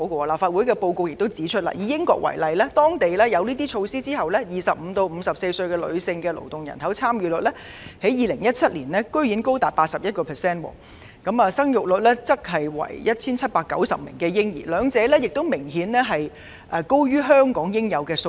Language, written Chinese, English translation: Cantonese, 立法會的報告指出，以英國為例，當地實施這些措施後 ，2017 年的25歲至54歲的女性勞動參與率居然高達 81%， 新生嬰兒有 1,790 名，兩者均明顯高於香港應有的數字。, Taking the United Kingdom as an example the report points out that upon implementation of such practices its labour force participation rate for females aged 25 to 54 was 81 % and number of newborns was 1 790 in 2017 . Both were noticeably higher than our figures